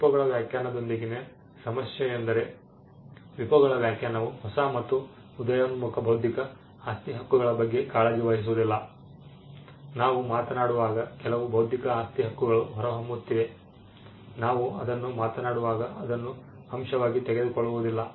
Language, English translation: Kannada, The problem with the WIPOs definition is the WIPOs definition does not take care of the new and emerging intellectual property rights, there are some intellectual property rights that are emerging as we speak it does not take that into factor